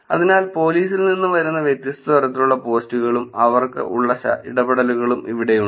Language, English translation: Malayalam, So, here are the different types of post that come from police and the kind of engagement that they have